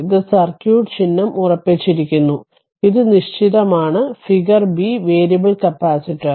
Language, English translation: Malayalam, And this is circuit symbol fixed, this is for fixed and this is for figure b for variable capacitor right